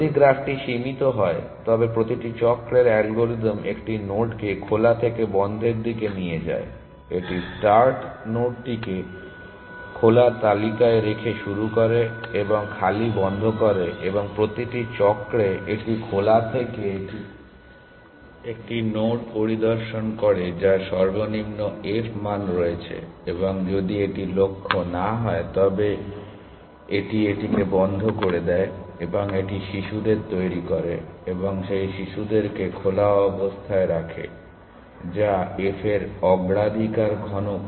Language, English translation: Bengali, () If the graph is finite then the algorithm in every cycle moves one node from open to closed it starts by putting the start node on open list and closes empty and in every cycle it inspects one node from open the one, which has the lowest f value and if it is not the goal it puts that into closed and generates it is children and puts those children into open, which is the priority cubes on f